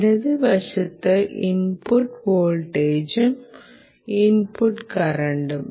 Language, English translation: Malayalam, the right side is the output voltage and the output current that you see